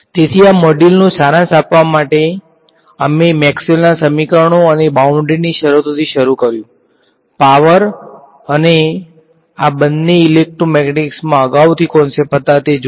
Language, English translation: Gujarati, So, to sort of summarize this module we started with Maxwell’s equations and boundary conditions, looked at the power and these two were sort of advance concepts in electromagnetic ok